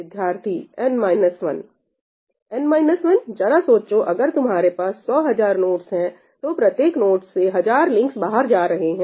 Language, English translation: Hindi, every node, if you have a hundred thousand nodes, every node has hundred thousand links going out of it